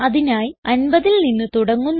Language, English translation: Malayalam, So we start with 50